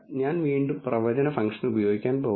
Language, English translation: Malayalam, I am again going to use the predict function